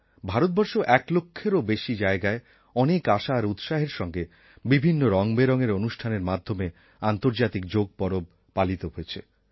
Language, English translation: Bengali, In India too, the International Yoga Day was celebrated at over 1 lakh places, with a lot of fervour and enthusiasm in myriad forms and hues, and in an atmosphere of gaiety